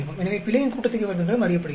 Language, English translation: Tamil, So, the error sum of squares is also known